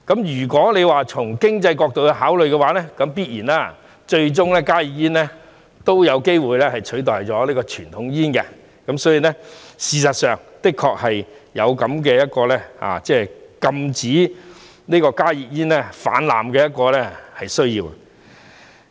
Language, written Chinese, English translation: Cantonese, 如果從經濟角度考慮，加熱煙最終必然有機會取代傳統煙，所以，事實上的確有禁止加熱煙泛濫的需要。, If we consider this issue from an economic point of view there stands a chance that HTPs will eventually replace conventional cigarettes . As such it is really necessary to ban the widespread use of HTPs